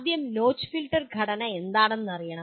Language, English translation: Malayalam, First of all one should know what is the notch filter structure